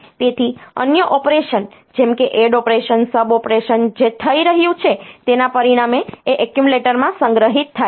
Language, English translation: Gujarati, So, other operation like add operation sub operation what is happening is that the result is stored in the accumulator